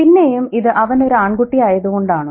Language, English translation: Malayalam, And again, is it because he's a boy